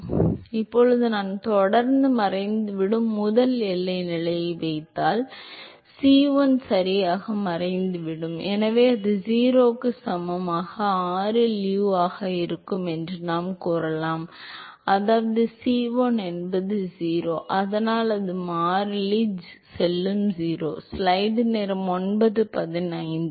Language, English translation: Tamil, So, now if I put the first boundary condition which constantly disappear, c1 will disappear right, so we can say that it would be u by dr at r equal to 0, so that means, c1 is 0, so that constant will go to 0